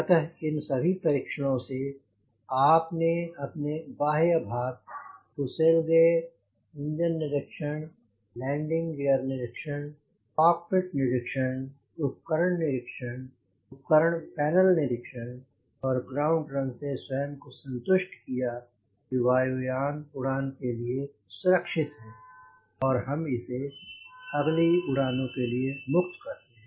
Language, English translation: Hindi, so with all these inspections you have seen the inspection outside the fuselage, the engine inspection, the landing gear inspection, the cockpit inspection, the instrument inspection, the instrument panel inspection and the ground run, after satisfying your, ourself that the aircraft is completely safe for flying